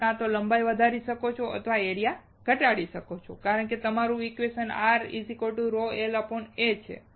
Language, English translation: Gujarati, You can either increase the length or you can decrease the area because your equation is R= (ρL/A)